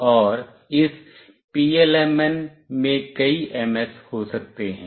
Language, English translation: Hindi, And there can be several MS’s in this PLMN